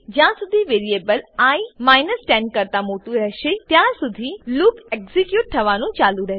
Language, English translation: Gujarati, This loop will execute as long as the variable i is greater than 10